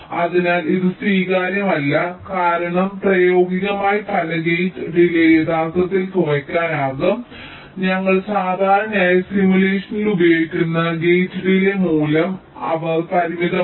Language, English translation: Malayalam, ok, so this is not acceptable because in practice many gate delays can actually get reduced because the gate delays value that we usually use in simulation they are upper bound